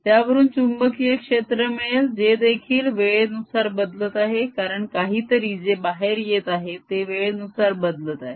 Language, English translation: Marathi, it gives rise to magnetic field which will also change with times, coming out of something which is changing arbitrarily in time